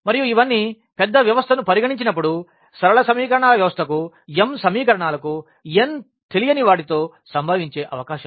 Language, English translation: Telugu, And, these all are the possibilities which can happen for a system of linear equations when we consider a large system of m equations with n unknowns